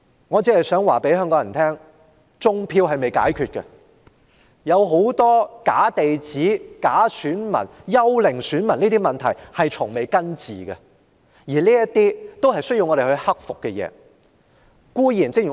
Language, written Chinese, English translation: Cantonese, 我想告訴香港人，種票問題尚未解決，假地址、假選民和幽靈選民等許多問題從未根治，這些都是有待解決的問題。, I wish to remind Hong Kong people that the problem of vote - rigging has remained unresolved . Other problems such as fraudulent addresses and ghost voters are yet to be solved at root . All these are pending a solution